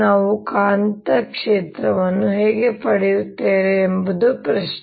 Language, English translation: Kannada, the question is, how do we get the magnetic field